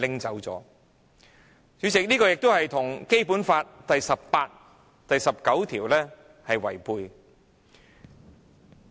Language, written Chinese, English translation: Cantonese, 主席，這與《基本法》第十八條及第十九條相違背。, President this contradicts Articles 18 and 19 of the Basic Law